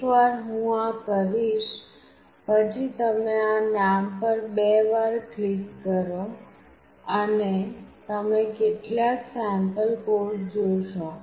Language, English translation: Gujarati, Once I do this you double click on this name, and you see some sample code